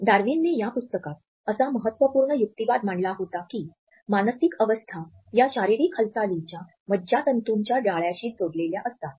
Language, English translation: Marathi, The crucial argument which Darwin had proposed in this book was that the mental states are connected to the neurological organization of physical movement